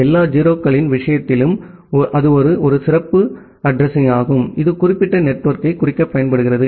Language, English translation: Tamil, And in a in case of a all 0’s that is a special address which is used to denote that particular network